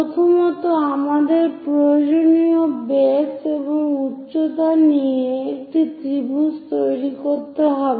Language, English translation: Bengali, First, we have to construct a triangle of required base and height